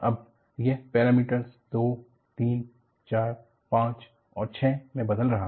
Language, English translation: Hindi, It now, varies from parameter 2, 3, 4, 5 and 6